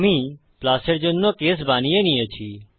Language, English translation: Bengali, So I have created a case for plus